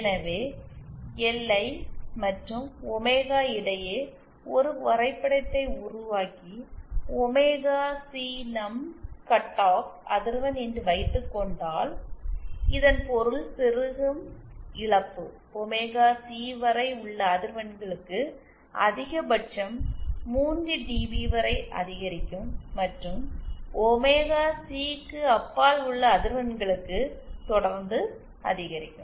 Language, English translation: Tamil, So, if we make a plot between LI and omegaC and suppose OmegaC is our cut off frequency, then it means that the insertion loss should increase to a maximum of 3 DB for frequencies less than omega C and beyond omega C, it would increase